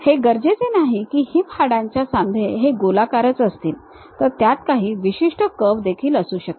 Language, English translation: Marathi, It is not necessary that the hip bone joint kind of thing might be circular, it might be having some specialized curve